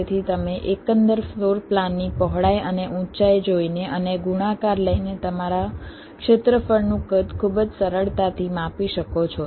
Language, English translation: Gujarati, so you can measure the size of your area very easily by looking at the width and height of the total overall floor plan and taking the product